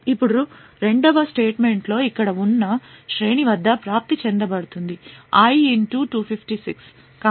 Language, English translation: Telugu, Now in the second statement an array which is present over here is accessed at a location i * 256